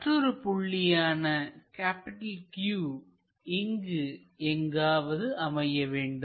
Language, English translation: Tamil, So, the other point Q must be somewhere here